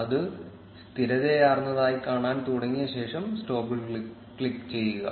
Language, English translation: Malayalam, And after it starts to look stabilized, click on stop